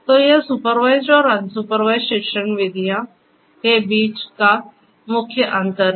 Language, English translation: Hindi, So, this is the main difference between the supervised and the unsupervised learning methods